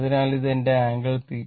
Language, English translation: Malayalam, So, this is my I this is angle theta